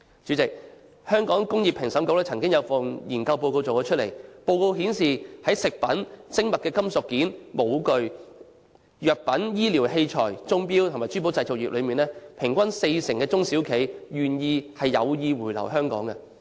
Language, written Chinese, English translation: Cantonese, 主席，香港工業專業評審局曾經做過一份研究報告，報告顯示，在食品、精密金屬件、模具、藥品、醫療器材、鐘錶、珠寶製造業中，平均約四成中小企業表示有意回流香港。, President according to a study conducted by the Professional Validation Council of Hong Kong Industries in respect of industries producing food products precision fabricated metal parts mould and die pharmaceuticals medical equipment watches and clocks and jewellery about 40 % of small and medium enterprises SMEs have expressed interest in relocating the operations back to Hong Kong